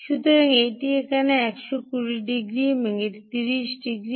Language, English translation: Bengali, so this is hundred and twenty degrees here and this is thirty degrees here